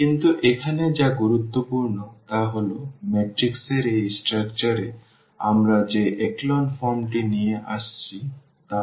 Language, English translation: Bengali, But, what is important here to put into this echelon form we have bring into this structure which this matrix has